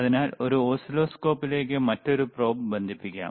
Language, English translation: Malayalam, So, let us connect another probe to this oscilloscope